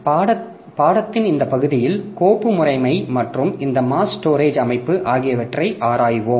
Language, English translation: Tamil, In the next part of our course, so we will be discussing on file system and mass storage